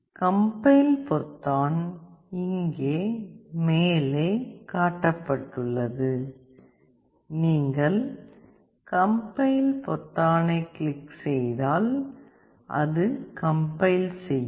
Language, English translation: Tamil, The compile button is shown here at the top; you click on the compile button and then it will compile